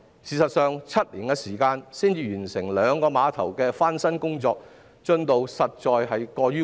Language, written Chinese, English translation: Cantonese, 事實上，要7年時間才完成兩個碼頭的翻新工作，進度實在太慢。, In fact the progress is really too slow by taking seven years to complete the refurbishment of only two piers